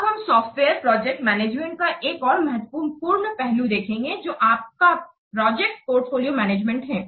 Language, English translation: Hindi, Now we will see another important aspect of software project management that is your portfolio project portfolio management